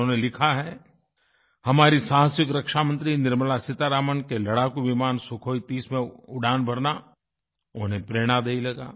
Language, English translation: Hindi, He writes that the flight of our courageous Defence Minister Nirmala Seetharaman in a Sukhoi 30 fighter plane is inspirational for him